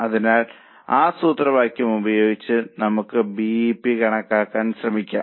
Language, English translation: Malayalam, So, using that formula, let us try to compute the BP